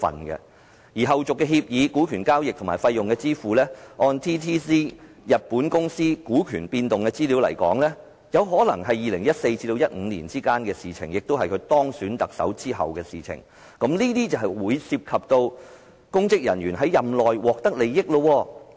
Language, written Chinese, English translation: Cantonese, 至於後續協議、股權交易和費用支付，按日本公司 DTZ 股權變動資料來看，有可能是2014年至2015年之間發生的事，即在他當選特首後發生的事，這便涉及公職人員在任內獲得利益。, According to the information on the change of shareholding of DTZ Japan Ltd subsequent agreements stake transactions and fees payment might happen between 2014 and 2015 ie . after he was elected the Chief Executive and this might involve a public officer receiving interests while in office